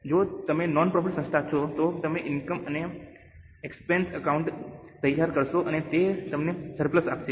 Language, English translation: Gujarati, If you are a non profit organization then you will prepare income and expenditure account and it will give you the surplus